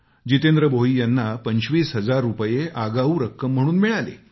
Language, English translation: Marathi, Jitendra Bhoi even received an advance of Rupees twenty five thousand